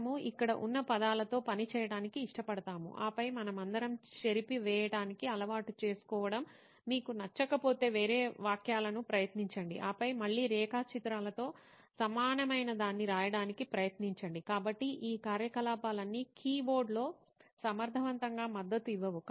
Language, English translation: Telugu, We probably like to prefer work with words around here and there, then try different sentences if you do not like we are all used to striking off, then again try writing something similar with diagrams, so all these activities are not supported on a keyboard efficiently